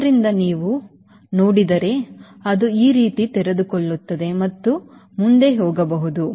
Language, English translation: Kannada, if you see, it opens up like this and it can also go forward